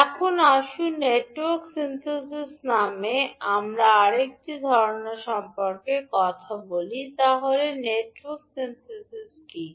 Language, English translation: Bengali, Now let us talk about another concept called Network Synthesis, so what is Network Synthesis